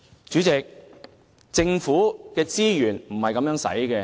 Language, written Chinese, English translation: Cantonese, 主席，政府的資源是不應這樣運用的。, Chairman government resources should not be used in this way